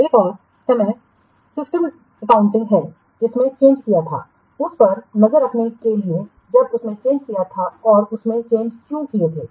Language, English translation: Hindi, Another is system accounting in order to keep track of that who had made the change, when he has made the change and why he has made the changes